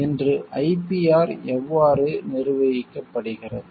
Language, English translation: Tamil, How IPR is managed today